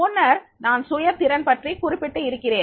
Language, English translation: Tamil, Earlier also I mentioned about the self efficacy